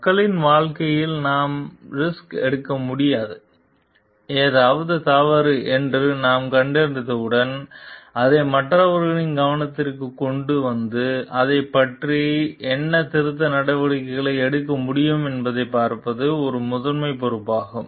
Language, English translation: Tamil, We cannot afford to take risk with the life of people, when we have detected something is wrong it is a primary responsibility to like bring it to the notice of others and see like what corrective actions can be taken about it